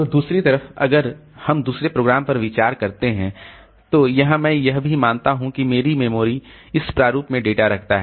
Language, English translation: Hindi, So, on the other hand, if we consider the second program, so here also I assume that my memory is having the data in this format